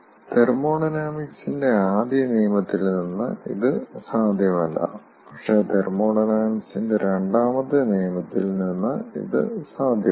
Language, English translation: Malayalam, these are not possible from first law of thermodynamics, but from second law of thermodynamics these things are possible